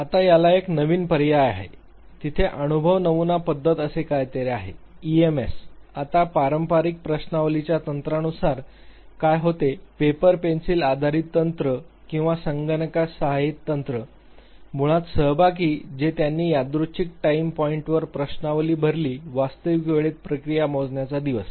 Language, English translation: Marathi, Now, there is a new alternative to it, there is something called experience sampling method, ESM, now what happens unlike the traditional questionnaire technique the paper pencil based technique or the computer assisted techniques, basically participants they fill out questionnaires at random time points throughout the day to measure the process in real time